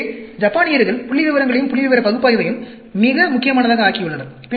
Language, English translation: Tamil, So, the Japanese made the statistics and statistical analysis very very important